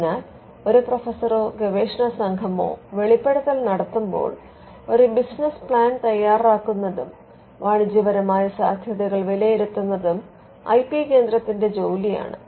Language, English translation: Malayalam, So, whenever a professor or a research team makes a disclosure it is the job of the IP centre to make a business plan and to evaluate the commercial potential